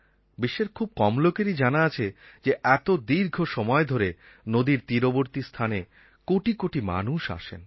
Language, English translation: Bengali, Very few know that since a long time, crores and crores of people have gathered on the riverbanks for this festival